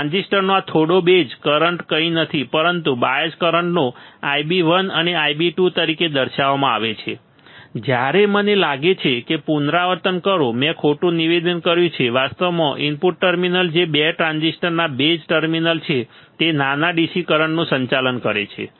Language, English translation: Gujarati, This small base currents of transistors are nothing, but the bias currents denoted as I b 1 and I b 2 whereas, repeat I think, I made as wrong statement actually the input terminals which are the base terminals of the 2 transistors do conduct do conduct